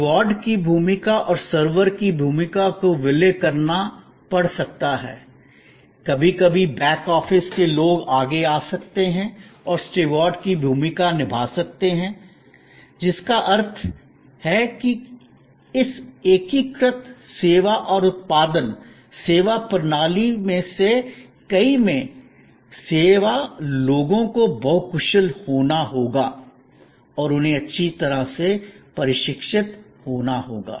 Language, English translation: Hindi, The role of the steward and the role of the server may have to be merged, sometimes the people from the back office may come forward and perform the role of the steward, which means that in many of this integrated service and production, servuction system, people will have to be, the service people will have to be multi skilled and they have to be well trained